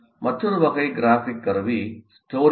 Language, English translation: Tamil, Now another type of graphic tool is what you call storyboard